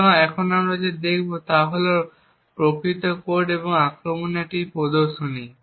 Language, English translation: Bengali, So, what we will see now is the actual code and a demonstration of the attack